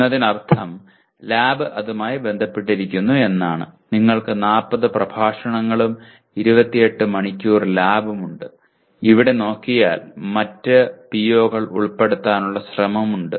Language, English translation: Malayalam, A 3:0:1 that means lab is associated with that and you have something like 40 lectures and 28 hours of lab and here if you look at there is an attempt to include other POs